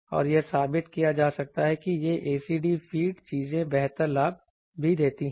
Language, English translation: Hindi, And it can be proved that these ACD feed things that gives a better gain also